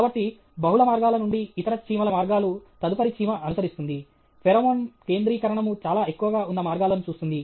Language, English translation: Telugu, So, out of the multiple paths, the paths of the other ants, the next ant which will follow, will look at the paths where the pheromone concentration is very high